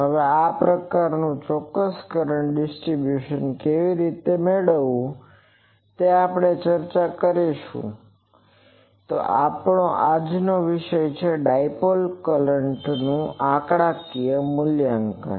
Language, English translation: Gujarati, Now, how to get this type of exact current distribution; that we will discuss actually; so we will today’s topic is Numerical Evaluation of the Dipole Current